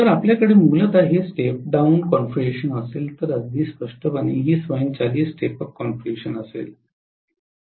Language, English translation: Marathi, So you are essentially going to have this as a step down configuration, whereas very clearly this will be an automatic step up configuration